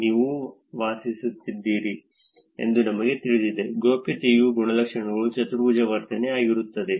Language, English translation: Kannada, We Know Where You Live: Privacy Characterization of Foursquare behavior This is what we will do